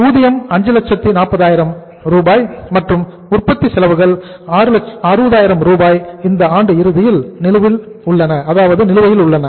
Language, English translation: Tamil, Wages are 5,40,000 and manufacturing expenses, outstanding at the end of the year that is 60,000 Rs